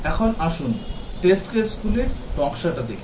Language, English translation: Bengali, Now, let us look at the design of test cases